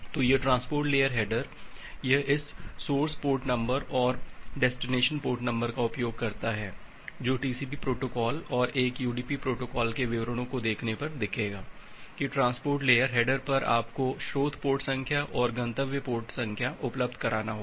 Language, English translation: Hindi, So, this transport layer header, it uses this source port number and the destination port number that will look into when you look into the details of the TCP protocol and a UDP protocol, that at the transport layer header you have to provide the source port number and a destination port number